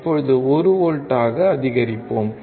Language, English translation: Tamil, Now, let us increase to 1 volts